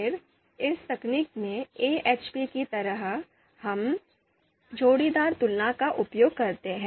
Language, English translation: Hindi, So again in this technique also just like AHP, we use pairwise comparisons